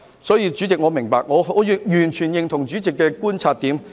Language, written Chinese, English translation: Cantonese, 所以，主席，我是明白的，我完全認同主席的觀察點。, So President I know what you mean . I fully agree with Presidents observation